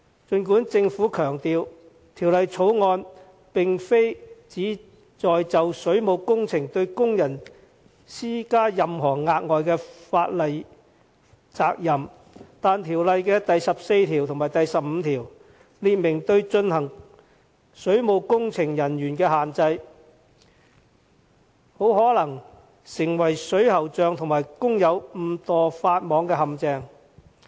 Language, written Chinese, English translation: Cantonese, 儘管政府強調《條例草案》並非旨在就水務工程對工人施加任何額外的法律責任，但第14條及第15條列明對進行水務工程人員的限制，很可能成為水喉匠和工友誤墮法網的陷阱。, Despite the Governments assurance that the Bill does not seek to impose any additional liability on workers in respect of the water works the restrictions imposed on the workers in sections 14 and 15 are likely to make them fall foul of the law inadvertently